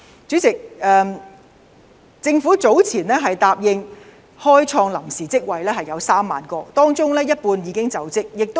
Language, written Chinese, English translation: Cantonese, 主席，第一，政府早前答應會開創3萬個臨時職位，當中有一半已經開設。, President first the Government pledged earlier that it would create 30 000 temporary posts and half of them had been filled